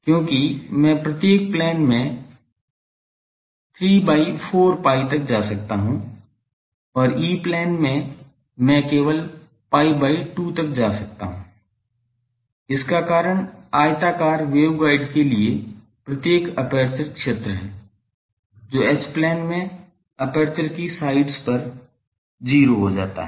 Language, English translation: Hindi, Why in each plane I can go up to 3 by 4 pi and in E Plane, I can go only up to pi by 2, the reason is the in the each aperture field for a rectangular waveguide, that goes to 0 at the sides of the aperture in the H plane